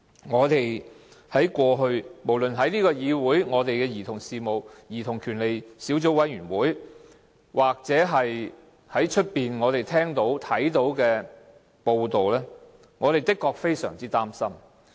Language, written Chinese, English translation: Cantonese, 我們在立法會兒童權利小組委員會所聽到的描述或在外間看到的報道，確實也使我們相當擔心。, What we have heard in the Subcommittee on Childrens Rights of the Legislative Council and from media reports really make us feel gravely concerned